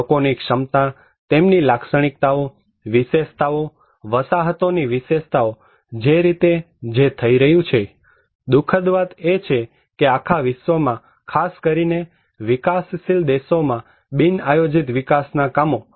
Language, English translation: Gujarati, People's capacity, their characteristics, their features, the building characteristics, settlement characteristics, the way it is happening, the unhappiness that unplanned development across the globe particularly in developing countries